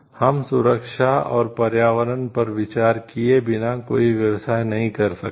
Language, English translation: Hindi, We cannot do any business without taking the safety and environmental considerations